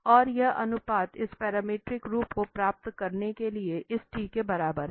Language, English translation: Hindi, And this these ratio equated to this t to have this parametric form